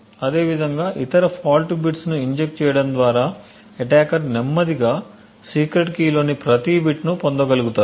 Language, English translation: Telugu, Similarly, by injecting false and every other bit the attacker get slowly be able to recover every bit of the secret key